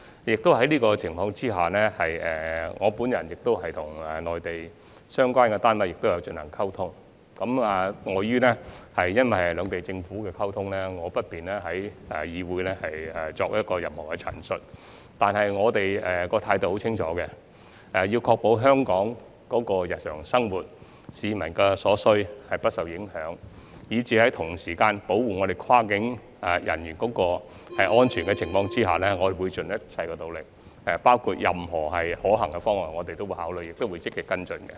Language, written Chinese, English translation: Cantonese, 在這個情況下，我曾與內地相關單位溝通，礙於涉及兩地政府的溝通，我不便在會議上作任何陳述，但我們的態度很清楚，必須確保香港日常生活及市民所需的物資不受影響，在保護跨境人員安全的情況下，我們會盡一切努力，包括考慮任何可行的方案，並會積極跟進。, Given that communication between the two governments has been involved I am not in a position to disclose any information at this meeting . Yet we have made our attitude very clear We must ensure that the daily lives of Hong Kong people and the supplies they need will not be affected . On the premise of protecting the safety of cross - boundary practitioners we will make our best endeavours